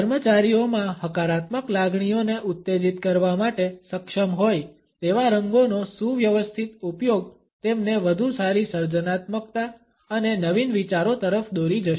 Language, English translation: Gujarati, A well planned use of colors which are able to stimulate positive feelings amongst the employees would lead them to better creativity and innovative ideas